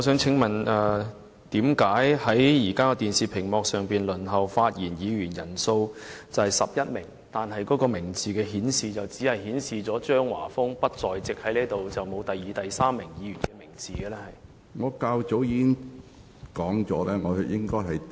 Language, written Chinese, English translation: Cantonese, 請問為何現時電視屏幕上輪候發言的議員人數是11名，但所顯示的名字卻只是指張華峰議員不在席，並沒有顯示第二、第三名輪候發言的議員的名字呢？, As shown on the display screen there are 11 Members waiting to speak . May I ask why only the name of Mr Christopher CHEUNG is shown with the remark that he is not in the Chamber? . Why are the names of Members in the second and third places to speak not displayed on the screen?